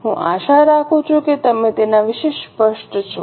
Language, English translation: Gujarati, I hope you are clear about it